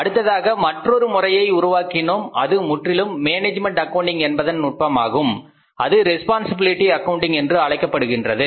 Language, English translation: Tamil, Then we developed a new discipline which is purely a discipline technique of the management accounting which is called as responsibility accounting